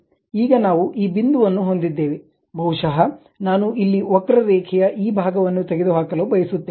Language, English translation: Kannada, The other line what we are going to use is now we have this point, this point, maybe I would like to remove this part of the curve here